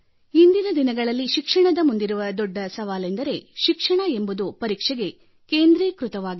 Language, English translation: Kannada, "Today what I see as the biggest challenge facing the education is that it has come to focus solely on examinations